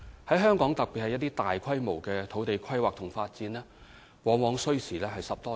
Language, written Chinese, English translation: Cantonese, 在香港，特別是大規模的土地規劃和發展，往往需時10多年。, The fact is land use planning and development in Hong Kong particularly large - scale projects often take over a decade to complete